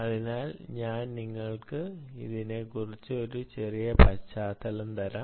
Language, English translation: Malayalam, so let me give you a little bit of a background